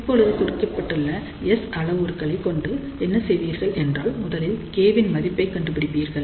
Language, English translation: Tamil, So, now, for given S parameters what you do, first you find the value of K